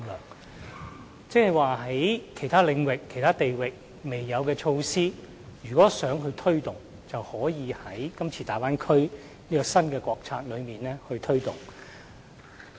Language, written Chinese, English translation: Cantonese, 換言之，在其他領域和地域尚未設有的措施，也可以在今次大灣區這項新國策下推動。, In other words measures not yet available in other domains or regions can be taken forward under this new national strategy for the Bay Area